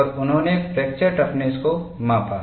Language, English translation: Hindi, Then we moved on to fracture toughness testing